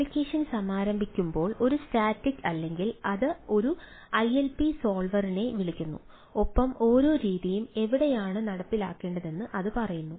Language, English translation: Malayalam, static: in case of a static, when the application is launched, the invoke a ilp solver and ah, which tells where each method should be executed